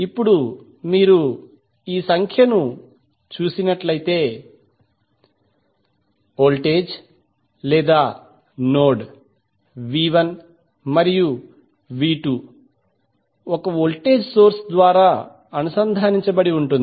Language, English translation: Telugu, Now if you see this particular figure, the voltage or node, V 1 and V 2 are connected through 1 voltage source